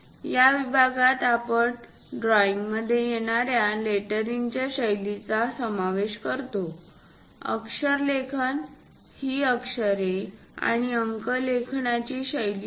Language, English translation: Marathi, In this section, we cover what are the lettering styles involved for drawing; lettering is the style of writing alphabets and numerals